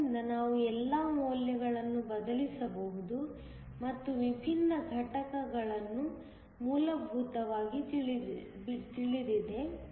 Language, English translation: Kannada, So, we can substitute all the values, all the different components are essentially known